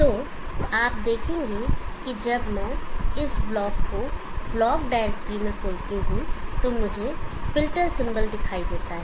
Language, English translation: Hindi, So you will see that when I open this block in the A block directory, I have see the filter symbol